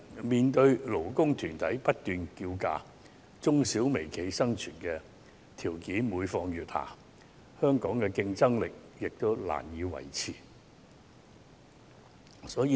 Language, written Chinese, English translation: Cantonese, 面對勞工團體不斷叫價，中小企和微企的生存條件每況愈下，香港的競爭力亦難以維持。, With incessant demands from labour groups the room for SMEs and micro enterprises to maintain their very survival is diminishing and it is difficult for Hong Kong to preserve its competitiveness